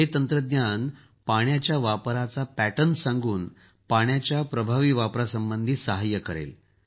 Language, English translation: Marathi, This technology will tell us about the patterns of water usage and will help in effective use of water